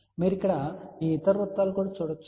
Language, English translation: Telugu, You see also these other circles here